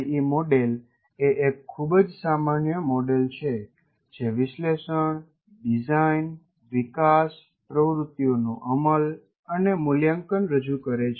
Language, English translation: Gujarati, And the ADI is a very generic model representing analysis, design, development, implement and evaluate activities